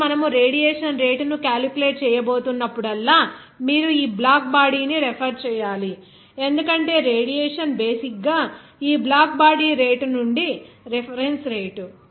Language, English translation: Telugu, So, whenever you are going to calculate the rate of the radiation that you have to refer this black body because the radiation is basically that reference rate from this black body rate